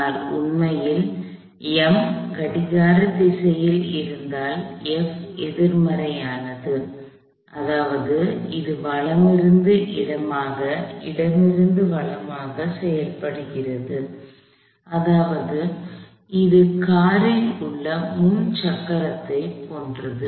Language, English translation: Tamil, But in reality, we found that if M is clockwise, F is actually negative, which means it is acting from right to left from left to right, which means that this is similar to a front wheel in the car